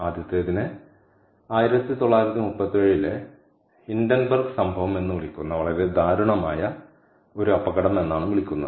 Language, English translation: Malayalam, the first one is some is called its a very tragic accident called hindenburg incident in nineteen, thirty seven